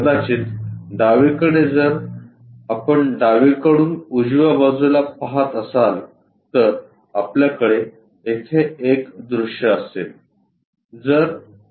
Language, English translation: Marathi, Perhaps left side from left side if you are looking on right side, we will have a view here